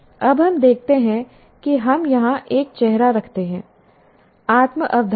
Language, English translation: Hindi, And we now look at, we put a face here what we call self concept